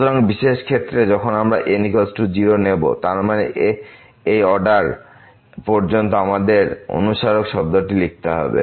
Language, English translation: Bengali, So, in the special case when we take is equal to 0 so that means, this up to the order one we have to write this reminder term